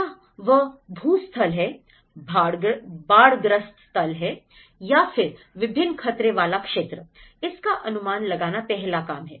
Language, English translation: Hindi, Whether it is a landslide, whether it is a flood prone area, whether it is a multiple hazard prone, so that is first task